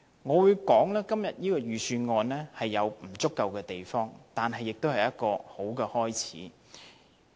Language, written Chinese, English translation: Cantonese, 我會說今年這份預算案有其不足之處，但也是一個好開始。, In my view this years Budget has inadequacies but it marks a good beginning